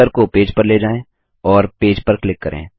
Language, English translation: Hindi, Move the cursor to the page and click on the page